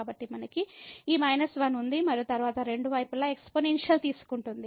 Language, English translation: Telugu, So, we have this minus 1 and then taking the exponential both the sides